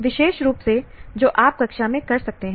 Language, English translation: Hindi, Specifically that you can do in the classroom